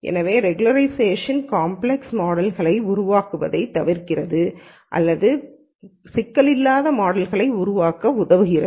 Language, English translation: Tamil, So, regularization avoids building complex models or it helps in building non complex models